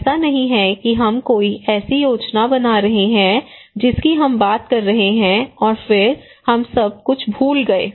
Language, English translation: Hindi, It is not that we are making a plan we are talking and then we forgot about everything